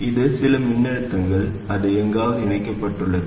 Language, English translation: Tamil, It is some voltage, it is connected somewhere